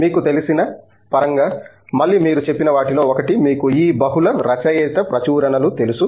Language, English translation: Telugu, In terms of you know okay, again one of the things you mentioned you know this multiple author publications and so on